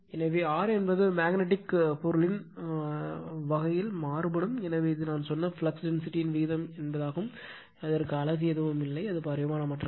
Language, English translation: Tamil, So, mu r varies with the type of magnetic material, and since it is a ratio of flux densities I told you, it has no unit, it is a dimensionless